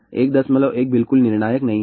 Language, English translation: Hindi, 1 is not at all conclusive